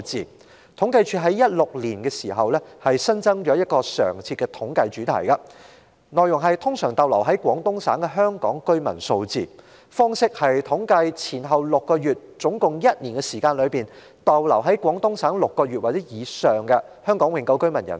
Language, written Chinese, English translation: Cantonese, 政府統計處於2016年起新增了一個常設的統計主題，內容關乎通常逗留在廣東省的香港居民數字，即在統計前後6個月、合共一年時間內，在廣東省逗留共6個月或以上的香港永久性居民人數。, Starting from 2016 the Census and Statistics Department added a regular thematic survey on the number of permanent residents of Hong Kong usually staying in the Guangdong Province Guangdong namely the number of Hong Kong residents who have stayed in Guangdong for six months or more during the one - year period from six months before the reference time - point to six months after it